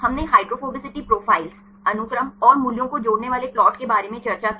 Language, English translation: Hindi, We discussed about hydrophobicity profiles, the plot connecting the sequence and the values right